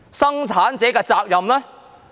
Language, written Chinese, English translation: Cantonese, 生產者的責任呢？, What about the responsibility of producers?